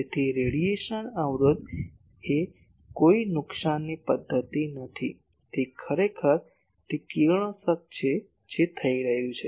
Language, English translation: Gujarati, So, radiation resistance is not a loss mechanism, it is actually the radiation that is taking place